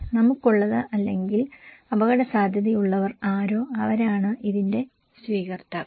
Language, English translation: Malayalam, We have or those who are at risk, those who are at risk they are the receivers of this